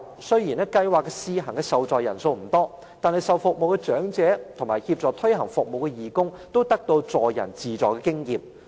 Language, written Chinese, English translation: Cantonese, 雖然計劃的試行受助人數不多，但接受服務的長者及協助推行服務的義工，都可以得到助人自助的經驗。, Although the scheme only benefited a limited number of people the elderly service recipients and the volunteers who helped in the service both experienced the benefits of being helped and helping others